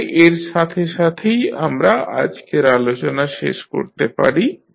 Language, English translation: Bengali, So, with this we can close our today’s discussion